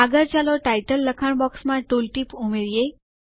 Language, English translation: Gujarati, Next, let us add a tool tip to the title text box